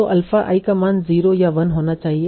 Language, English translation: Hindi, So, alpha I should have a value of either 0 and 1, 0 or 1